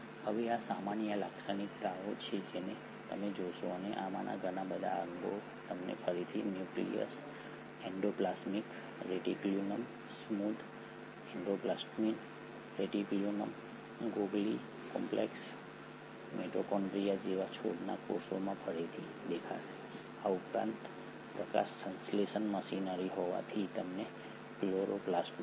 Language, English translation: Gujarati, Now these are the common features which you will see and lot of these organelles you will see them again in a plant cell like the nucleus, the endoplasmic reticulum, the smooth endoplasmic reticulum, the Golgi complex, the mitochondria, in addition to that since the photosynthetic machinery you will find the chloroplast